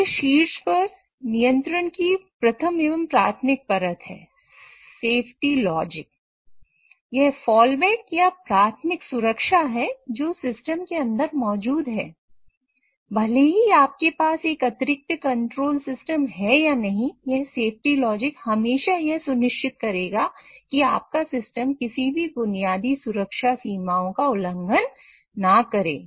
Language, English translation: Hindi, So, irrespective of whether you have an additional control system or not, this particular safety logic will always ensure that your system cannot violate any basic safety boundaries